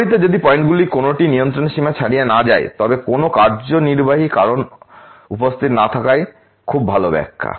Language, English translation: Bengali, In contrast if none of the points fall outside the control limits then no assignable causes are present so that very, very good interpretation